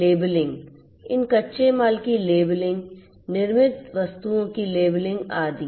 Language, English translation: Hindi, Labeling; labeling of these raw materials labeling of the manufactured goods etcetera